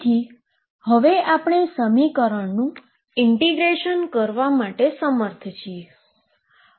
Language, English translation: Gujarati, So, now we are able to integrate the equation